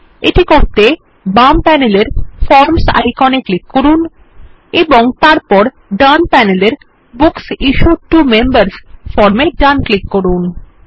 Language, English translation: Bengali, To do this, let us click on the Forms icon on the left panel and then right click on the Books Issued to Members form on the right panel, and then click on Edit